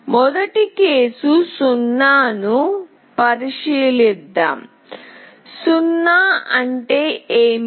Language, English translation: Telugu, Let us first consider case 0, what is 0